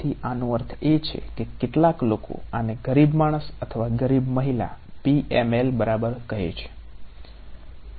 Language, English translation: Gujarati, So, this is I mean some people call this a poor man’s or poor women’s PML ok